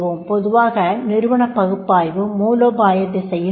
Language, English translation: Tamil, Organizational analysis will be the strategic direction